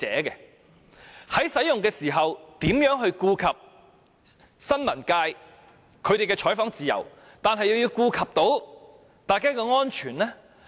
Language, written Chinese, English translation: Cantonese, 因此，在使用水炮時，究竟如何在顧及新聞界的採訪自由之餘，亦能兼顧各人的安全？, Thus at the time when water cannons are used how can freedom of news coverage of the press be safeguarded and at the same time safety of all parties be ensured?